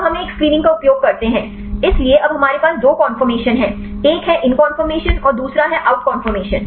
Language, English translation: Hindi, Then we use a screening, so here now we have the two conformation the in conformation out conformation